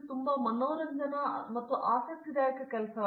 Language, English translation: Kannada, It is a very entertaining and interesting job